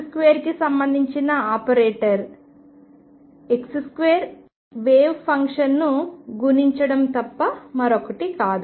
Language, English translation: Telugu, Operator corresponding to x square was nothing but x square multiplying the wave function